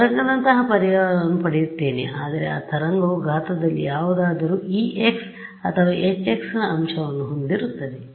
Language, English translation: Kannada, So, I will get a wave like solution, but that wave will have that that factor of E x or H x whatever in the exponent right